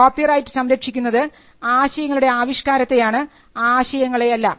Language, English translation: Malayalam, The scope of the copyright protects only expressions of idea and it does not protect the ideas themselves